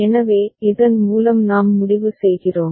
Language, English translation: Tamil, So, with this we come to the conclusion